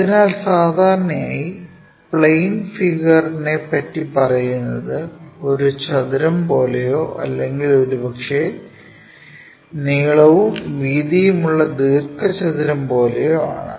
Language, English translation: Malayalam, So, usually what is given is description over the plane figure is something like a square of so and so side or perhaps a rectangle of length this and breadth that